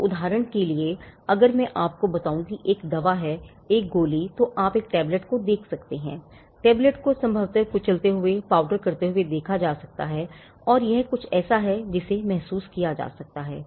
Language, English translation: Hindi, So, for instance if I tell you that there is a medicine a tablet, then you can see the tablet perceive the tablet probably crush it, powder it, and it is something that can be felt